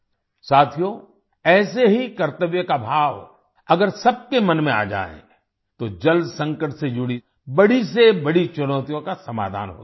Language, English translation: Hindi, Friends, if the same sense of duty comes in everyone's mind, the biggest of challenges related to water crisis can be solved